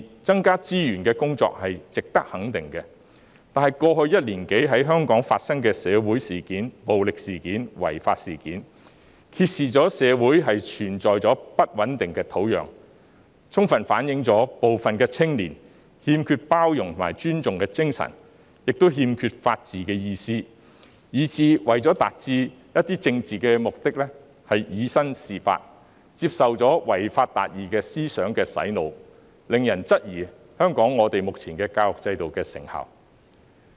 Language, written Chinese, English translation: Cantonese, 增加資源無疑值得肯定，但過去一年多在香港發生的社會事件、暴力事件、違法事件，揭示了社會存在不穩定的土壤，充分反映部分青年不懂包容和尊重，亦欠缺法治精神，以致為達到一些政治目的而以身試法，接受了違法達義思想的洗腦，令人質疑香港目前的教育制度的成效。, The increase of resources undoubtedly warrants recognition yet in the past year or so the social incidents violence and illegal acts occurred in Hong Kong have exposed the existence of an unstable environment in society . This fully reflects that some young people do not know how to be tolerant and respectful as well as lacking the spirit of the rule of law . As a result they have tried to break the law to achieve certain political objectives and have been brainwashed by the thinking of justice lawbreaking